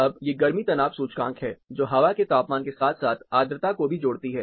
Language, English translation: Hindi, Now, these are heat stress indices, which combine air temperature, as well as humidity